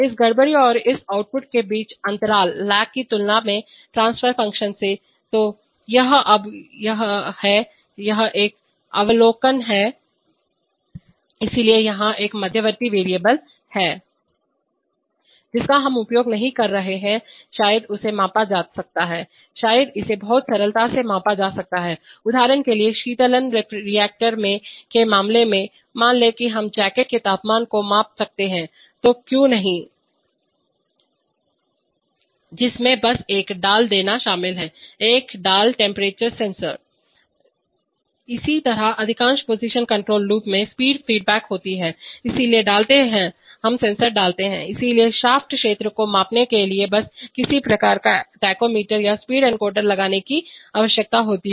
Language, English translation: Hindi, Than the transfer function, than the lag between this disturbance and this output, so now this is, this an observation, so here is an intermediate variable, Which we are not using, maybe it could be measured, maybe it could be measured very simply, for example in the case of the cooling reactor, suppose we could measure the jacket temperature why not, that, that involves simply putting a, putting a temperature sensor, similarly most position control loops have speed feedback, so putting, so measuring the shaft field requires simply putting some kind of a tachometer or speed encoder